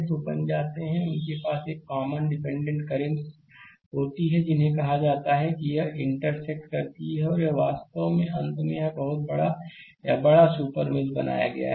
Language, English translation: Hindi, So, become they have a common dependent currents I told you intersect and this actually finally, it is become a bigger or a larger super mesh